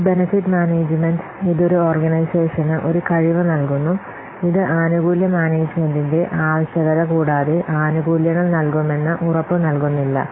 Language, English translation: Malayalam, So this benefit management, it provides an organization with a capability that does not guarantee that this will provide benefits in this, need for benefits management